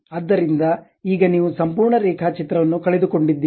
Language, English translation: Kannada, So, now, entire drawing you has been lost